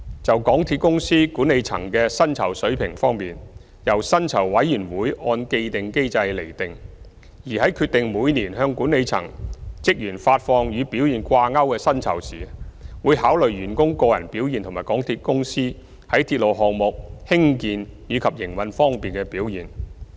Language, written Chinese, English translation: Cantonese, 就港鐵公司管理層的薪酬水平方面，由薪酬委員會按既定機制釐定，而在決定每年向管理層職員發放與表現掛鈎的薪酬時，會考慮員工個人表現及港鐵公司在鐵路項目興建及營運方面的表現。, The remuneration level of MTRCLs management is determined by the Remuneration Committee . When deciding the annual payment of performance - based remuneration to MTRCLs senior management staff the committee will consider the performance of individual staff members and MTRCLs performance in the construction and operation of railway projects